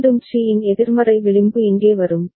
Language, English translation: Tamil, Again the negative edge of C will come here